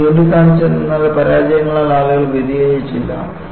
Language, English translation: Malayalam, And what I pointed out was, people were not detracted by the failures